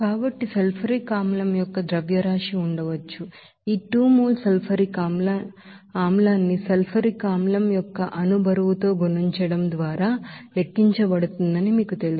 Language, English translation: Telugu, So mass of sulfuric acid can be, you know calculated just by multiplying this 2 mole of sulfuric acid by a molecular weight of sulfuric acid